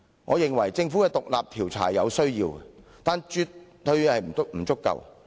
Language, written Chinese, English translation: Cantonese, 我認為政府的獨立調查有其必要，但絕對不足夠。, I think the independent inquiry commissioned by the Government is necessary but is by no means sufficient